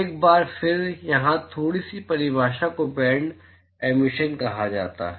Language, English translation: Hindi, Once again a little bit of definition here something called band emission